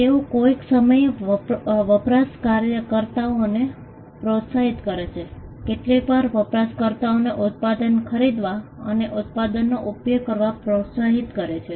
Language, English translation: Gujarati, They sometime encourage users; they sometimes encourage users to take up and to buy the product and to use the product